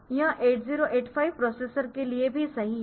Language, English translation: Hindi, So, it will also true for 8085 two processor